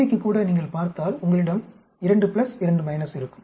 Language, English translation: Tamil, Even for A, B if you see you will have 2 pluses, 2 minuses